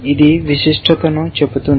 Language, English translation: Telugu, It is saying specificity